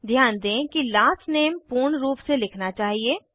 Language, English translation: Hindi, Note that the last name must be written in its full form